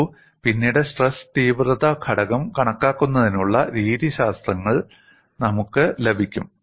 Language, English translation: Malayalam, See, later on, we are going to have methodologies to calculate the stress intensity factor